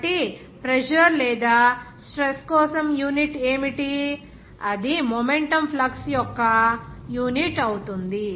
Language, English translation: Telugu, So, what will be the unit for pressure or stress, that unit will be of the momentum flux